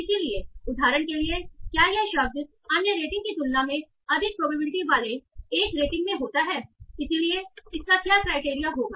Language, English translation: Hindi, So, for example, does this work occur in one rating with more probability than others, other ratings